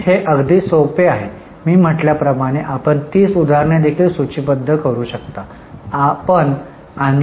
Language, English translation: Marathi, As I said, you can even list 30 examples